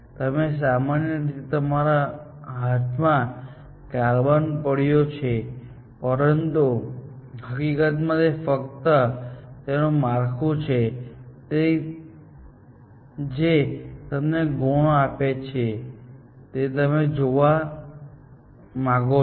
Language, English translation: Gujarati, You, basically, holding carbon in your hand, but it is really the structure of it, which gives it the properties that you looking for